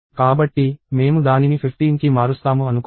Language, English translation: Telugu, So, let us say I change it to 15